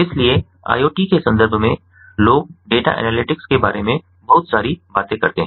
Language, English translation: Hindi, so you know, in the context of iot, people talk a lot about data analytics